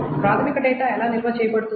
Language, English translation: Telugu, So how is the primary data stored